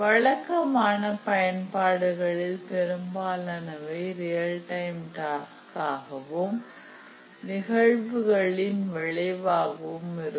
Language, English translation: Tamil, In a typical application there are a large number of real time tasks and these get generated due to event occurrences